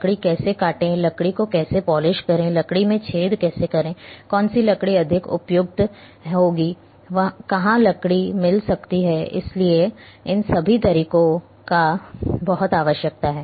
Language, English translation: Hindi, How to cut a wood, how to polish a wood, how to make a hole in the wood, which wood will be more suitable, where one can find the wood, so all these methods are very much required